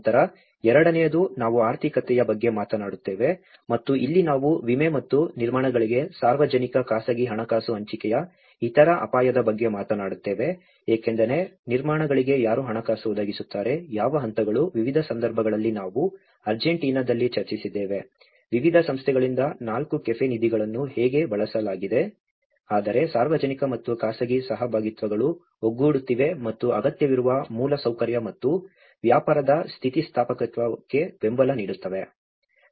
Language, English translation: Kannada, Then, the second one we talk about the economy and this is where we talk about insurance and other risk sharing public private finance for constructions because who will provide the finance for the constructions, what stages, like in different cases we also have discussed in Argentina, how the four cafe funds have been used from different organizations have put together whereas, the public and private partnerships are coming together and how the needy infrastructure and support for the business resilience